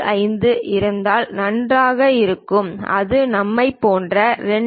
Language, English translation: Tamil, 75 perfectly fine, if it is something like we 2